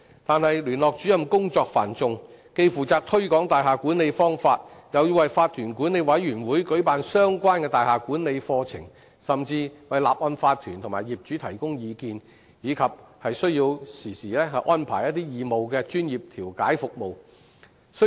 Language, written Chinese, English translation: Cantonese, 但聯絡主任工作繁重，既負責推廣大廈管理方法，又要為法團管理委員會舉辦相關的大廈管理課程，甚至要為法團和業主提供意見，並需要經常安排義務專業調解服務。, But the Liaison Officers deal with a heavy workload . They promote good practices of building management organize courses on building management for members of OC management committees and even give advice to OCs and owners . They also need to arrange for the provision of voluntary professional mediation service